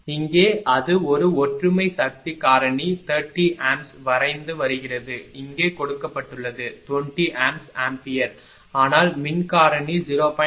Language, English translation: Tamil, Here it is drawing 30 ampere at unity power factor this is given, here it is drawing 20 amp ampere, but power factor is 0